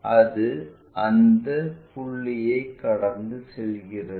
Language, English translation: Tamil, It pass through that point